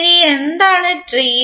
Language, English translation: Malayalam, Now what is tree